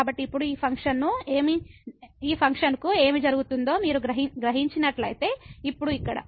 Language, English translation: Telugu, So now, if you realize what is happening to this function now here